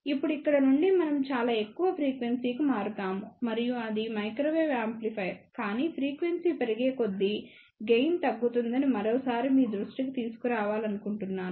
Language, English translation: Telugu, Now, from here we will shift to the very high frequency and that is microwave amplifier, but I just want to bring to your attention one more time the gain decreases as the frequency increases